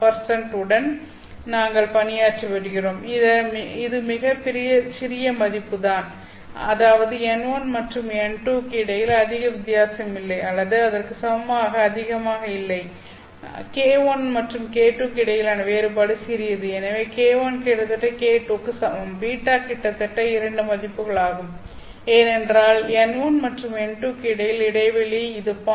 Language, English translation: Tamil, 1 percent these are very small values which means that there is not much of a difference between n1 and n2 or equivalently there is not much of a difference between k1 and k2 so k1 is almost equal to k2 beta is almost equal to these two values because spacing between n1 and n2 is this much just about 0